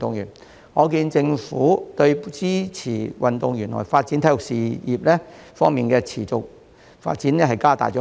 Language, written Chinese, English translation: Cantonese, 由此可見，政府已加大力度支持運動員和體育事業持續發展。, We can see that the Government has strengthened its support for athletes and the sustainable development of sports